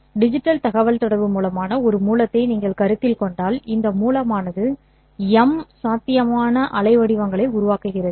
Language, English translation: Tamil, If you consider a source, a digital communication source, this source generates M possible waveforms